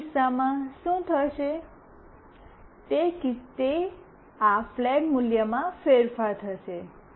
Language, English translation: Gujarati, In that case, what will happen is that this flag value will change